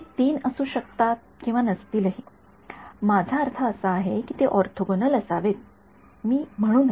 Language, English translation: Marathi, Those three may or may not be, I mean, they should be orthogonal I should not say